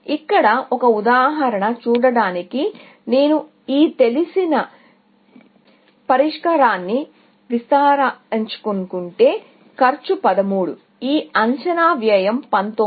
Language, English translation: Telugu, To see an example here, if I want to expand this known solution, is cost 13, this estimated cost is 19